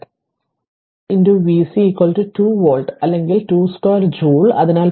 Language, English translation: Malayalam, So, farad into v C is equal to 2 volts or 2 square joule so 0